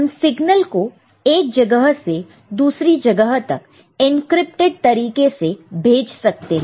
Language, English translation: Hindi, You know, you send the signal from one place to another in an encrypted manner